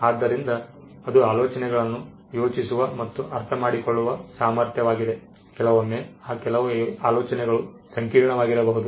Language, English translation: Kannada, So, it is the ability to think and understand ideas sometimes which some of those ideas could be complicated